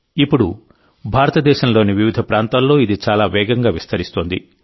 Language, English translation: Telugu, This is now spreading very fast in different parts of India too